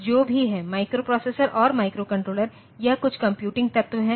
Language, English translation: Hindi, Now, whatever it is or both microprocessor and microcontroller they are some computing element